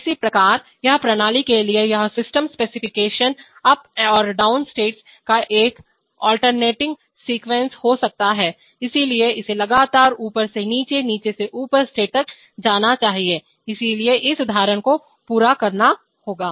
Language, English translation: Hindi, So this, this system specification for this system could be an alternating sequence of up and down States, so it must continuously go from up to down and down to up states, so having done this example